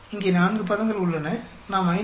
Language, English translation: Tamil, There are 4 terms here, we take the 5